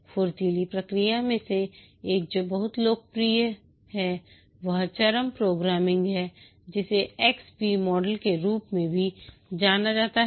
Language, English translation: Hindi, One of the Agile process which is very popular is the Extreme Program extreme programming which is also known as the XP model